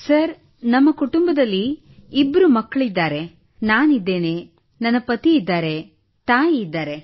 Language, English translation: Kannada, Sir, there are two children in our family, I'm there, husband is there; my mother is there